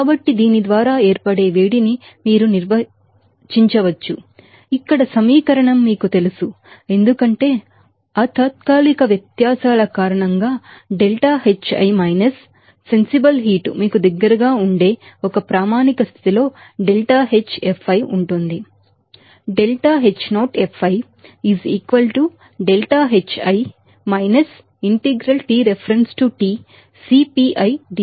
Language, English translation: Telugu, So, for that, you can define that heat of formation by this you know equation here as deltaHfi at a standard condition that will be close to you know delta Hi minus sensible heat because of that temporary differences